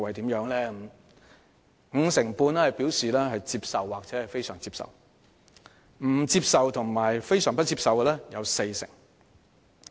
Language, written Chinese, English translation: Cantonese, 結果顯示，有五成半受訪者表示接受或非常接受，而不接受或非常不接受的則佔四成。, Results showed that 55 % of the interviewees considered her performance acceptable or very acceptable whereas 40 % considered it unacceptable or very unacceptable